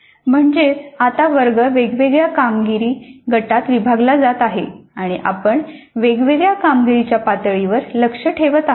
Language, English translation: Marathi, That means now the class is being divided into the different performance groups and we are setting targets for different performance levels